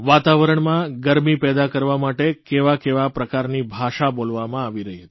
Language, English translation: Gujarati, The kind of language that was spoken in order to generate tension in the atmosphere